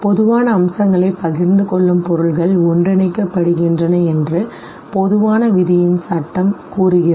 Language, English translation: Tamil, Law of common fate says that objects with share common features, they are grouped together